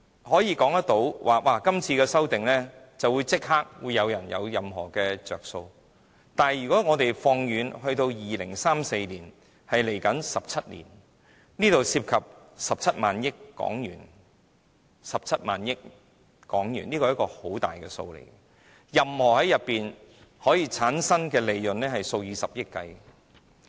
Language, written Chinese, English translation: Cantonese, 所以，我並非說今次的修正案會立即讓某些人得益，但如果我們看2034年，即17年後，當中涉及17萬億港元，這便是一個相當大的數目，可以產生的利潤是數以十億元計的。, Hence I am not saying that a certain group of people can be immediately benefited from these amendments . But if we look ahead to 2034 ie . 17 years later and the HK17 trillion business to be generated we are talking about a huge amount of money and the profits to be generated can be of billions of dollars